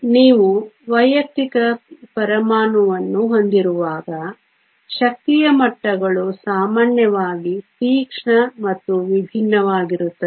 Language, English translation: Kannada, When you have an individual atom the energy levels are usually sharp and distinct